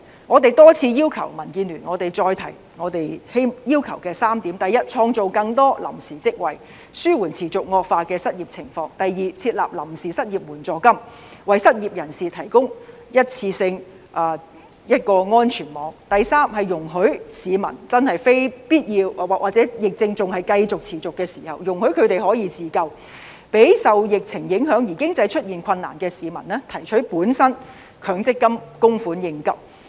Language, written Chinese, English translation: Cantonese, 我再次重申，民建聯多次要求的3點，第一，創造更多臨時職位，紓緩持續惡化的失業情況；第二，設立臨時失業援助金，為失業人士提供一次性安全網；第三，容許市民在真正非必要時或疫情仍然持續時可以自救，讓受疫情影響而經濟出現困難的市民提取本身的強制性公積金供款應急。, Let me repeat the three points DAB has all along been advocating . First to create more temporary jobs in order to ease the worsening unemployment situation; second to set up a temporary unemployment fund to provide a one - off safety net for the unemployed; third to allow those who have genuine need when the pandemic persists to save themselves that is to allow them to withdraw their portion of Mandatory Provident Fund MPF schemes contributions